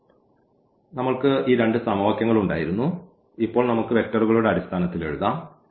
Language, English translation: Malayalam, So, we had these two equations and now we can write down in terms of the in terms of the vectors